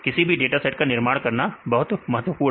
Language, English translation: Hindi, This is very important to construct dataset